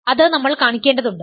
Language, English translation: Malayalam, We need to show